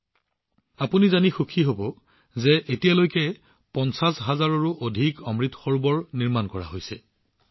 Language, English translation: Assamese, You will be pleased to know that till now more than 50 thousand Amrit Sarovars have been constructed